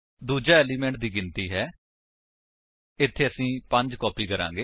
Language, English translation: Punjabi, The second is the no.of elements to copy, over here we will copy 5